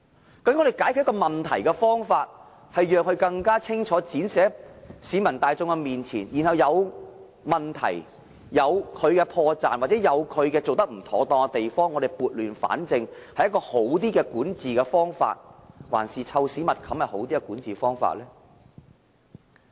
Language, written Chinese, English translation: Cantonese, 究竟我們解決問題的方法，是讓它更清楚的展示在市民大眾面前，將有問題、破綻或做得不妥當的地方撥亂反正是一種較好的管治方法，還是"臭屎密冚"是另一種好的管治方法呢？, After all does the solution of coming clean in front of the crowd rectifying problems and mistakes and improper approaches represent a better governance model? . Or is covering up all the stinking shit a better governance model instead?